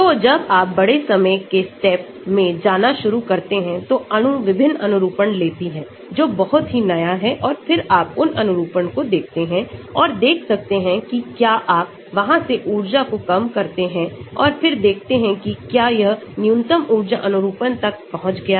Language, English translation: Hindi, So, when you start going up to large time steps, the molecule would have taken different conformations, which are very novel and then you can look at those conformations and see whether you from there minimize the energy and then see whether it has reached the minimum energy conformation